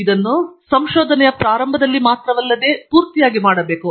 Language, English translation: Kannada, It should be done not only at the beginning of the research but also throughout